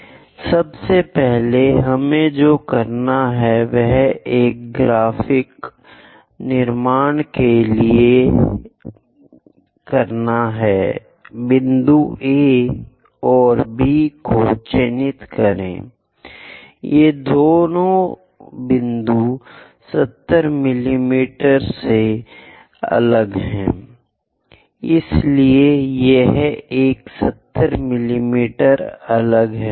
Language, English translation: Hindi, First of all, what we have to do is for a graphic construction, mark point A and B; these two points are at 70 mm apart, so this one 70 mm apart